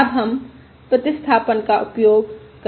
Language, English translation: Hindi, Now let us use the substitution